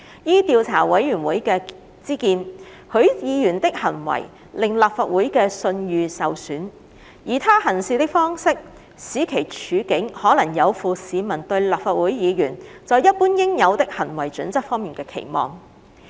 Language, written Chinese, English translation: Cantonese, 依調查委員會之見，許議員的行為令立法會的信譽受損，而他行事的方式，使其處境可能有負市民對立法會議員在一般應有的行為準則方面的期望。, In the Investigation Committees view Mr HUIs acts have brought discredit upon the Legislative Council and he has conducted himself in a way that has placed himself in a position which may be contrary to the generally assumed standard of conduct expected of a Legislative Council Member